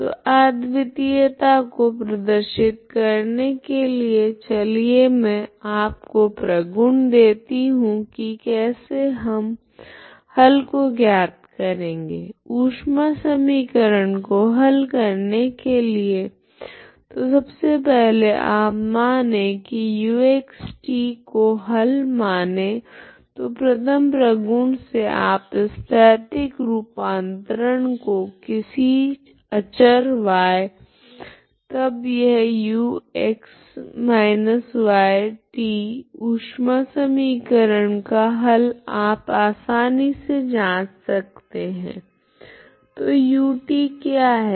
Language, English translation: Hindi, So before I show that uniqueness of this problem, okay let me give you the properties how we find the solution is just by based on the properties of the solutions of the heat equation so first thing is you suppose ux is a solution let u of x, t is a solution then property 1 is you take a spatial translations that is spatial variable is x x minus some constant y let us call this y x minus y t is also a solution of heat equation you can easily verify so if you say this u x minus y y is constant t, what is ut